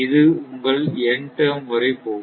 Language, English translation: Tamil, Up to your one n nth term